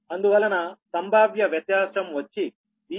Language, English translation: Telugu, the potential difference is here